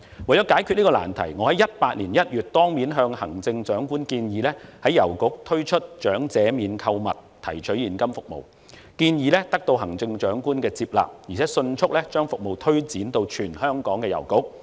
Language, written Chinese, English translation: Cantonese, 為解決這個難題，我在2018年1月當面向行政長官建議，在郵局推出長者免購物提取現金服務，建議得到行政長官的接納，而有關服務更迅速推展至全香港的郵局。, In order to solve this difficult problem I suggested to the Chief Executive face to face in January 2018 that EPS EasyCash service for Senior Citizens service should be launched in the post offices concerned . She accepted my suggestion and the service was extended quickly to all post offices in Hong Kong